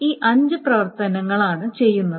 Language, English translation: Malayalam, So these are the five operations that is done